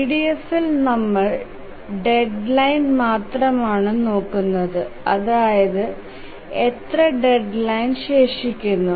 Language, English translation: Malayalam, In EDF we look at only the deadline, how much deadline is remaining